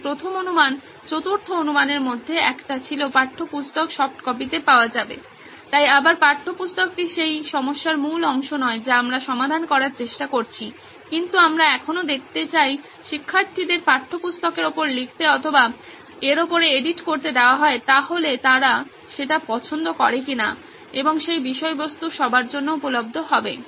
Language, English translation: Bengali, So the first assumption, one of the fourth assumption was the textbook would be available in soft copies, so again textbook is not the core part of the problem that we are trying to solve but we still would want to see if students would have the ability to like you mention write on top or edit on top of textbooks and that contain also can be available for everyone